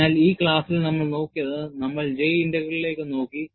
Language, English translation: Malayalam, So, in this class, what we have looked at is, we have looked at J Integral